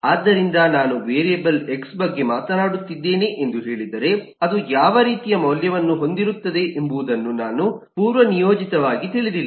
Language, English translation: Kannada, so if I say eh am talking about a variable x, then I many not eh by default know what kind of value does it contain